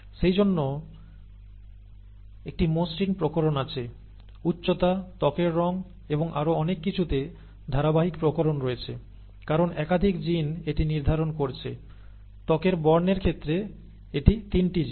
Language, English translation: Bengali, And therefore there is a smooth variation, there is a continuous variation in heights, in skin colour and so on so forth, because multiple genes are determining this, in the case of skin colour it is 3 genes